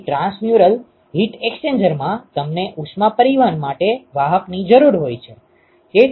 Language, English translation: Gujarati, So, in transmural heat exchangers you need a carrier for heat transport